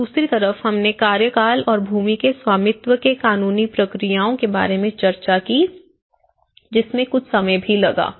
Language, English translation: Hindi, And the other thing we did discuss about the tenure and the ownership the legal procedures regarding the land ownership which also took some time